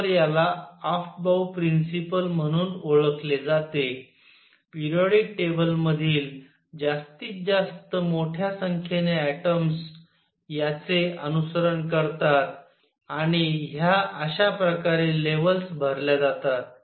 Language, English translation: Marathi, So, this is known as the Afbau principle, it is followed by maximum a large number of atoms in the periodic table, and this is how the levels are filled